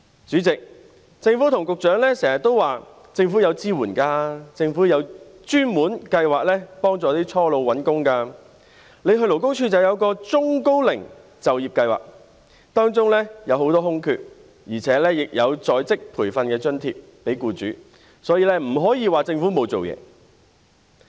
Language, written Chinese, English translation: Cantonese, 主席，政府和局長經常說，政府有提供支援；政府有專門計劃協助初老長者找工作；勞工處有中高齡就業計劃，當中有很多空缺，而且亦有向僱主提供在職培訓津貼等；因此不能說政府沒有做事。, President the Government and the Secretary often say that the Government does provide support The Government has a dedicated programme to help young elderly persons seek employment; the Labour Department offers the Employment Programme for the Elderly and Middle - aged with many vacancies available under the programme; and a training allowance is also provided to employers etc so it cannot be said that the Government has done nothing